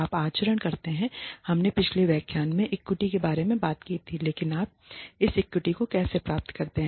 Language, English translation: Hindi, You conduct the, we talked about equity in a previous lecture, but how do you achieve this equity